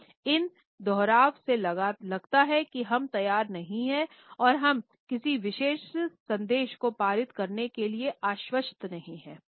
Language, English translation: Hindi, So, these repetitive takes in our behaviour communicate that we are not prepared and we are not confident to pass on a particular message